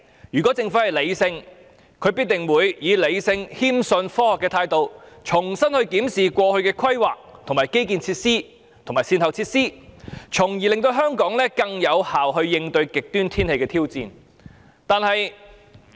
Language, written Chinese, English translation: Cantonese, 如果政府是理性的，則必定會以理性、謙遜、科學的態度，重新檢視過去的規劃、基建設施及善後措施，從而令香港更有效應對極端天氣的挑戰。, If the Government is rational it will definitely re - examine its previous planning infrastructures and remedial measures in a sensible humble and scientific manner so that Hong Kong can cope with the challenges of extreme weather more effectively